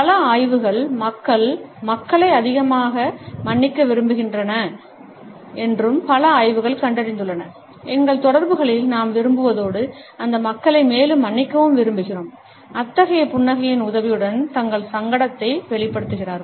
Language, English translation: Tamil, Several studies have also found that people like to forgive people more, that several studies have also suggested that in our interaction we tend to like as well as to forgive those people more, who show their embarrassment with the help of such a smile